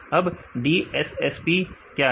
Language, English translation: Hindi, Then what is DSSP